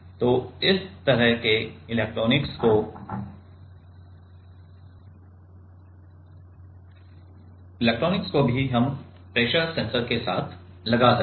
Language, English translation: Hindi, So, this kind of electronics also we can put with the pressure sensor